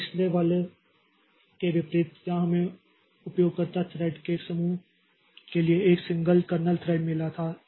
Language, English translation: Hindi, Now, unlike the previous one where we had got a single kernel thread for a group of user thread